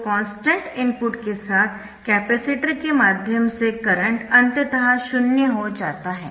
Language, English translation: Hindi, so when the voltage across the capacitors constant, the current through that is zero